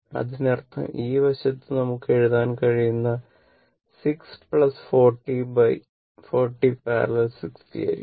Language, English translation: Malayalam, That mean, this side we can write it will be 6 plus that your 40 parallel to 60